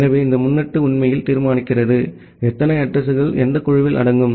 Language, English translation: Tamil, So, this prefix actually determines that, how many addresses will fall into what group